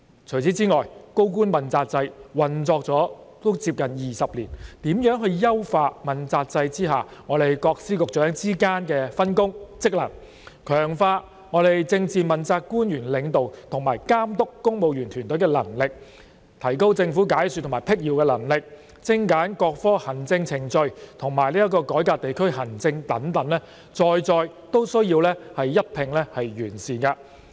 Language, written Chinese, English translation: Cantonese, 除此之外，主要官員問責制運作接近20年，如何優化問責制下各司局長之間的分工及職能，強化政治問責官員領導及監督公務員團隊的能力，提高政府解說及闢謠能力，精簡各科行政程序，以及改革地區行政等，在在均需要一併完善。, Besides as the Accountability System for Principal Officials has been operating for almost 20 years the Government needs to improve the division of work and functions among various Secretaries Offices and Bureaux under the accountability system and strengthen the capabilities of politically accountable officials in leading and supervising the civil service; to enhance the capabilities of the Government in explaining policies and answering queries and refuting rumours; to streamline various administrative procedures of all government branches and to reform district administration